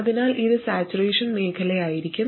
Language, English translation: Malayalam, So this will be in saturation region